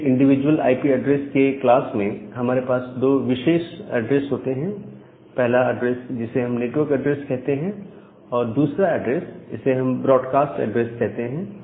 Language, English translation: Hindi, Now, we have in every individual class of IP addresses, we have two special address; one address we call as the network address, and the second address we call it as a broadcast address